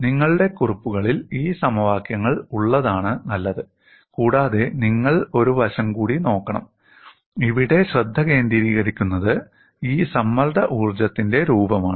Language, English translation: Malayalam, Nevertheless, we will look at them, it is better that you have these equations in your notes and you should also look at one more aspect, what is focused here is, the form of this strain energy